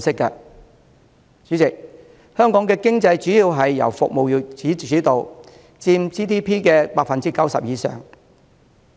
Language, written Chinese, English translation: Cantonese, 代理主席，香港的經濟主要由服務業主導，佔 GDP 的 90% 以上。, Deputy President the economy of Hong Kong is mainly driven by the service industries which contributed to more than 90 % of our GDP